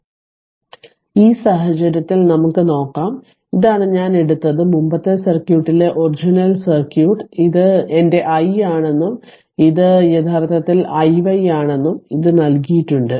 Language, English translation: Malayalam, So, let us see so in this case this is that your call this is what I have taken right and and the original circuit in the in the previous circuit it was given that this is my i and this is actually i y this was given right